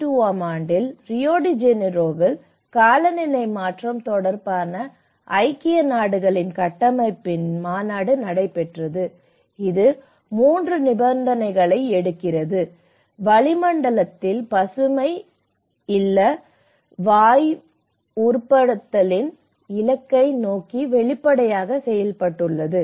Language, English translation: Tamil, And what are the strategies and in 1992, in Rio de Janeiro,United Nations Framework Convention on Climate Change has been held, and it takes 3 conditions which has been made explicit towards the goal of greenhouse gas stabilization in the atmosphere